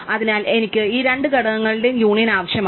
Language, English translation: Malayalam, So, I need the union of these two components